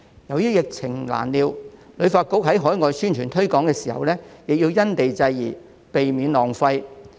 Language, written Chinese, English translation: Cantonese, 由於疫情難料，旅發局在海外宣傳推廣時亦要因地制宜，避免浪費。, Given the unpredictable epidemic situation HKTB also has to customize its efforts to suit different places when launching publicity and promotion overseas so as to avoid wastage